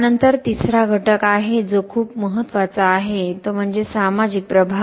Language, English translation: Marathi, Then there is a third pillar which is very very important that is the social impact